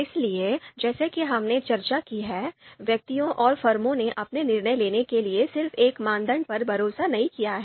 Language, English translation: Hindi, So as we have discussed, individuals and firms don’t rely on just one criterion for their decision making